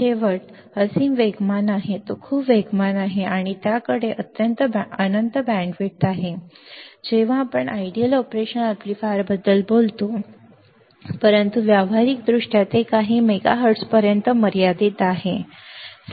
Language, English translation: Marathi, Last is infinitely fast it is very fast it has infinite bandwidth this is way when we talk about ideal operation amplifier, but practically it is limited to few megahertz practically it limited to few megahertz